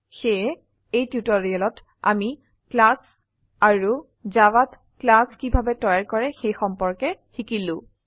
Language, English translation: Assamese, So, in this tutorial we learnt about a class in java and how to create a class in java